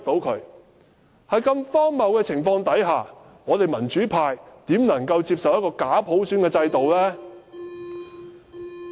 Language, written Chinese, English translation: Cantonese, 在如此荒謬的情況下，民主派怎能接受一個假普選的制度呢？, How can the democratic camp accept such an absurd situation and fake universal suffrage?